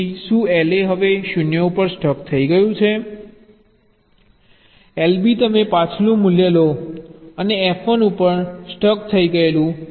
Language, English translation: Gujarati, so is l a is now a stuck at zero, l b you take the last previous value and f stuck at one